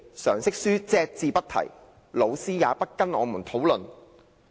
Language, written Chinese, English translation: Cantonese, 常識書隻字不提，老師也不跟我們討論。, General Studies books have never mentioned it . Teachers have never talked about it with us